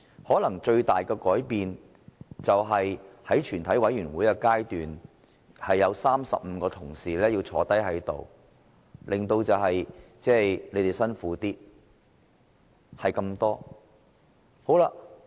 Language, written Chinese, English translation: Cantonese, 可能最大的改變是在全體委員會的階段，必須要有35位同事在席，因而令大家辛苦一點，只是這樣而已。, The biggest change probably has to do with the Committee stage which requires the presence of 35 Members in the Chamber and so this may be a bit hard to Members but that is all